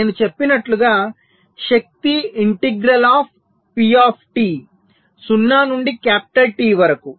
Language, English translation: Telugu, so energy, as i said, is the integral of pt from zero to capital t